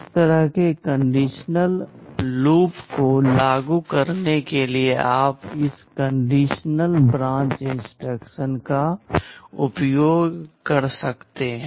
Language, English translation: Hindi, You can use this conditional branch instruction to implement this kind of conditional loop